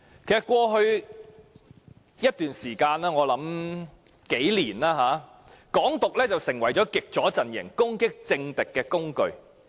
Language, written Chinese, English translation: Cantonese, 在過去一段時間，我想是近幾年，"港獨"成為極左陣營攻擊政敵的工具。, For quite some time in the past and in these recent few years I think the advocation of Hong Kong independence has become a tool for the extreme leftists to attack their political opponents